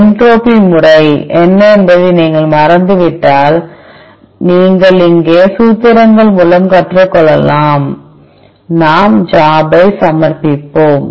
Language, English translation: Tamil, In case you have forgotten what is each method entropy method, you can learn the formulas here, let us submit the job